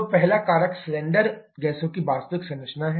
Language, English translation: Hindi, So, the first factor is the actual composition of cylinder gases